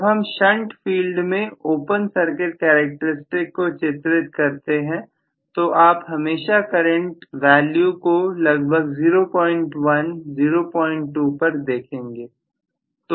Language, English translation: Hindi, whereas in the shunt field when we draw the open circuit characteristics you will always look at the current value to be about 0